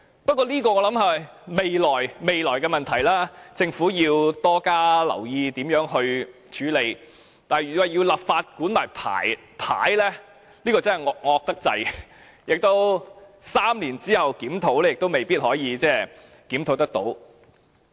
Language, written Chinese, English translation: Cantonese, 不過，我想這是未來的問題，政府要多加留意如何處理，但如要立法規管牌位，這便太"惡"了，在3年後作檢討亦未必能夠做到。, However I think that will be an issue to be handled in the future . The Government should pay more attention as to how to handle this issue . If the Government decides to legislate on regulating the operation of memorial tablets it will be too harsh and that may not be achieved even after the conduct of the review three years later